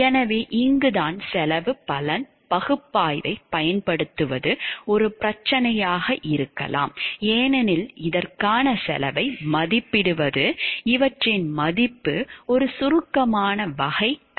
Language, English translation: Tamil, So, this is where like utilizing cost benefit analysis may be a problem because, estimating the cost for this the worth of these are abstract type of concepts it is very difficult